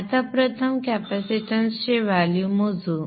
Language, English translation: Marathi, Now first off let us calculate the value of the capacitance